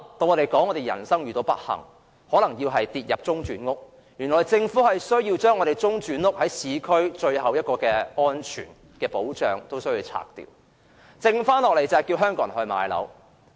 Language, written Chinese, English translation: Cantonese, 如果人生遇到不幸，可能要入住中轉房屋，但現在政府連市區最後一座中轉屋也要拆除，變相迫使香港人買樓。, If something unfortunate happens one may need to move into interim housing . However the Government will demolish the last interim housing in urban areas which is tantamount to coercing Hong Kong people into buying properties